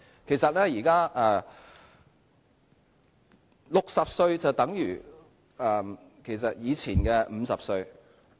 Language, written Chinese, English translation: Cantonese, 其實現在60歲便等於以前的50歲。, In fact reaching the age of 60 now is equivalent to reaching the age of 50 in the past